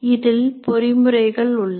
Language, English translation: Tamil, There are mechanisms in this